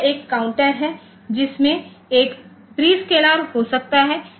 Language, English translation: Hindi, So, this is a counter there can be a prescalar